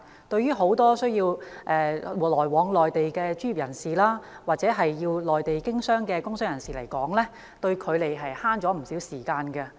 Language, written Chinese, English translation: Cantonese, 對於很多需要前往內地工作的專業人士，或者到內地經商的工商界人士來說，這兩項基建的確為他們節省不少時間。, For many professionals who need to work in the Mainland or for businessmen who are doing business in the Mainland these two infrastructure items really save them a lot of time